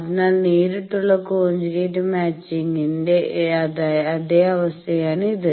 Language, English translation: Malayalam, So, this is the same case as the direct conjugate matching